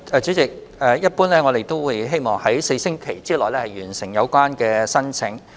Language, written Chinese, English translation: Cantonese, 主席，一般來說，我們希望能在4星期內完成審批申請。, President generally speaking the vetting and approval process for CSSA applications is expected to be completed in four weeks time